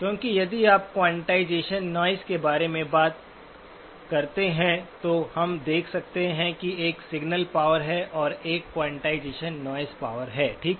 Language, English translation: Hindi, Because if you talk about the quantization noise, then we can see that there is a signal power and there is a quantization noise power, okay